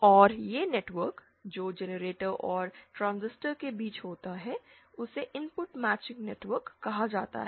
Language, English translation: Hindi, And this network which is there between the generator and the transistor is called the input matching network